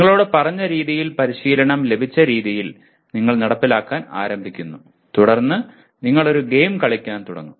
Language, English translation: Malayalam, You start executing the way you are told, you are trained and then you start playing a game